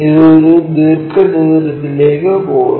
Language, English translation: Malayalam, This one goes to a rectangle